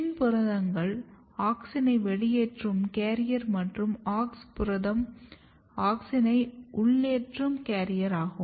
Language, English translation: Tamil, So, PIN proteins are auxin efflux carrier AUX protein are auxin influx carrier